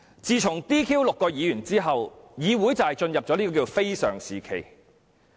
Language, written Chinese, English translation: Cantonese, 自從將6名議員 "DQ" 了之後，議會便進入非常時期。, Ever since the six Members have been DQ disqualified the Council has plunged into exceptional circumstances